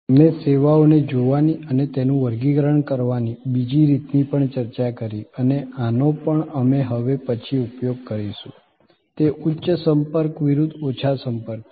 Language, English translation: Gujarati, We also discussed another way of looking at services and classifying them and this also we will be using now and then, is the high contact versus low contact